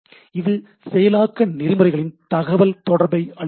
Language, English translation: Tamil, So, it gives a process to process communication